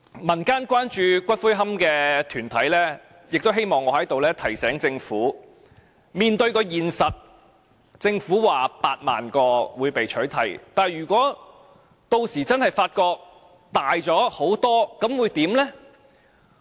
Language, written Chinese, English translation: Cantonese, 民間關注骨灰龕的團體亦希望我在此提醒政府面對現實，政府估計有8萬個龕位會被取締，但如果屆時真的發覺數目大很多，又會怎樣？, Community groups which are concerned about the issue of columbaria hope that I can remind the Government on their behalf to face the reality . The Government estimated that 80 000 niches would be eradicated but what will happen if the number is actually much larger?